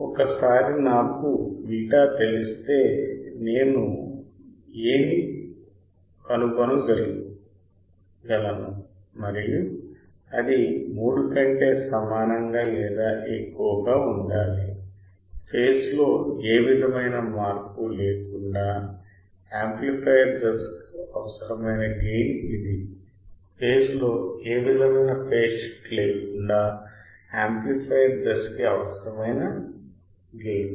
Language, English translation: Telugu, Once I know what is beta; I could find A and that should be greater than equal to 3; this is the required gain of the amplifier stage without any phase shift this is the required gain of amplifier stage without any phase shift